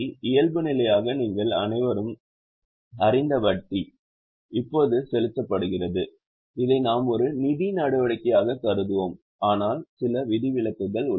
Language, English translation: Tamil, Now interest paid as you all know by default we will treat it as a financing activity but there are a few exceptions